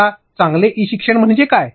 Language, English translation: Marathi, Now, what do I mean by good e learning